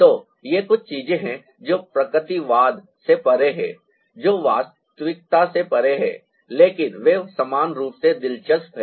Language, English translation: Hindi, so these are certain things which is beyond naturalism, which is beyond reality, but they are equally interesting